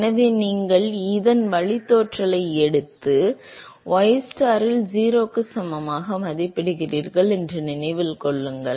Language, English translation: Tamil, So, remember that you take the derivative of this and evaluate at ystar equal to 0